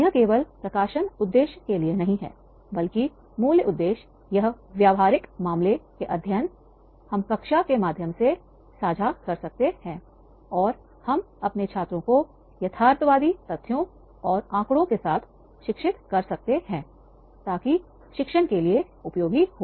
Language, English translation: Hindi, It is not only for the publication purpose, but the basic purpose is that these practical case study we can share in the classroom and we can educate our students with the realistic facts and figures